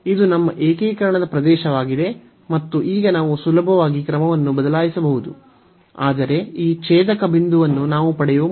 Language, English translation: Kannada, So, this is our region of integration and now we can easily change the order, but before we need to get what is this point of intersection